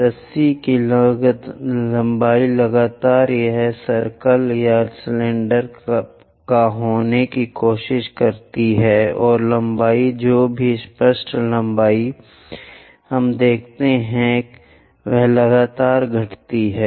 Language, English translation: Hindi, The rope length continuously it try to own the circle or cylinder and the length whatever the apparent length we are going to see that continuously decreases